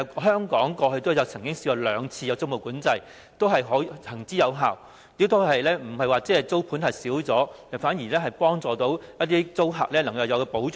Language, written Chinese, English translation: Cantonese, 香港過去也曾實施過兩次租務管制，均是行之有效，亦未有令租盤減少，反而讓租客得到保障。, Hong Kong had implemented tenancy control twice in the past and it was proven effective . It did not lead to a decrease in rental units in the market but instead gave tenants protection